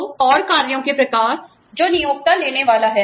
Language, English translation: Hindi, So, and types of actions, the employer intends to undertake